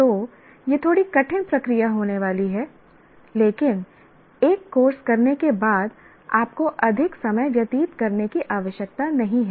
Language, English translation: Hindi, So, this is going to be a little tough process, but once you do for a course, it is not required to keep on spending time